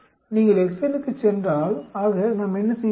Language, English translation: Tamil, If you go to excel, so what we do